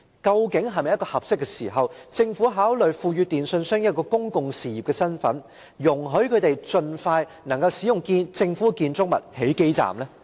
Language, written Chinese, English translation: Cantonese, 現在是否已是合適的時候考慮賦予電訊營辦商一個公共事業營辦者的身份，讓他們能夠盡快在政府建築物內設置基站？, Is it not an appropriate time now to consider granting telecommunications service operators the status of public utilities so that they can set up base stations in government buildings as soon as possible?